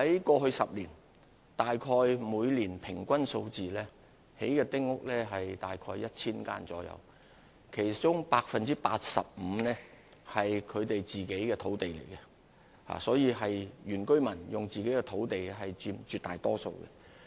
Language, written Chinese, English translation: Cantonese, 過去10年，每年興建的丁屋數目平均大約是 1,000 間，其中 85% 建於他們自己的土地上，絕大多數的原居民均使用自己的土地興建丁屋。, In the past decade the average number of small houses built each year was about 1 000 85 % of which were built on their own land . The majority of indigenous villagers used their own land to build small houses